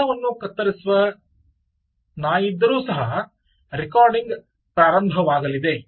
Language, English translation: Kannada, even if there is a dog which cuts the camera, its going to start recording